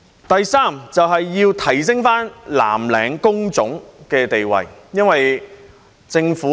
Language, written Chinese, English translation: Cantonese, 第三，要提升藍領工種的地位。, Third it seeks to raise the status of blue - collar work